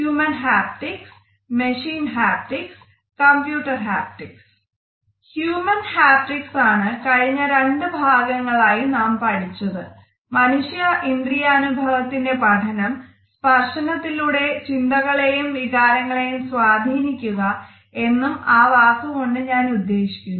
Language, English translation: Malayalam, Human haptics is what we have been discussing in the last two modules, the study of human sensing and if I can use this word manipulation of their ideas and emotions through touch